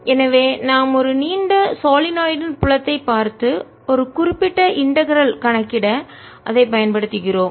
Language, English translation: Tamil, so we are looking at the field of a long solenoid and use that to calculate a particular integral